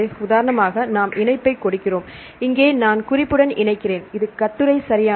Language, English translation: Tamil, Then we give the link for example, here I link with the reference, which is the article right